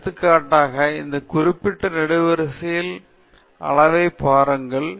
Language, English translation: Tamil, So, for example, look at the quantities on this particular column